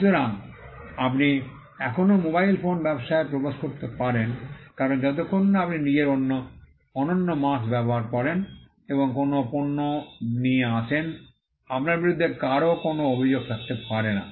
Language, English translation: Bengali, So, you can still enter the mobile phone business because, as long as you use your own unique mark and come up with a product, nobody can have any grievance against you